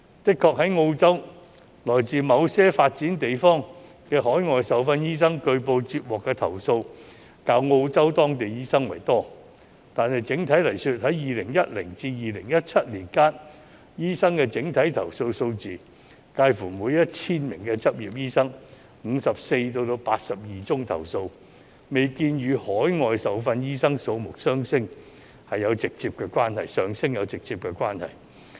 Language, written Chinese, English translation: Cantonese, 的確，在澳洲來自某些發展地方的海外受訓醫生據報接獲的投訴較澳洲當地醫生為多，但整體而言，在2010年至2017年間，投訴醫生的整體數字介乎每 1,000 名執業醫生有54宗至82宗投訴，未見與海外受訓醫生數目上升有直接關係。, Indeed overseas - trained doctors from some developing places reportedly have received more complaints than local doctors in Australia . But overall complaints lodged against all doctors ranged from 54 to 82 cases per 1 000 practising doctors from 2010 to 2017 bearing no direct relationship with the rising number of overseas - trained doctors